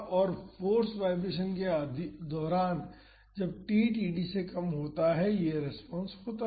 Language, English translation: Hindi, And, during force vibrations, that is when t is less than td this is the response